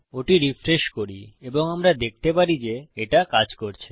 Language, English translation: Bengali, Lets refresh that and we can see that it worked